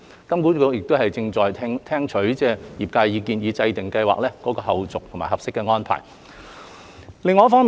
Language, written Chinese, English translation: Cantonese, 金管局正聽取業界意見，以制訂計劃的後續和合適安排。, HKMA is gathering the views of stakeholders to formulate appropriate recommendations on the way forward for the scheme